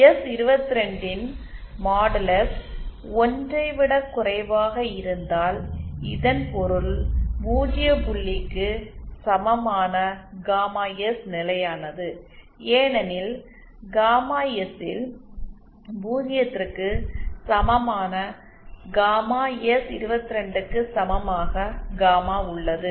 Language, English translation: Tamil, If modulus of s22 is lesser than 1 then that means the gamma S equal to the zero point is stable because at gamma S equal to zero we have gamma out equal to s22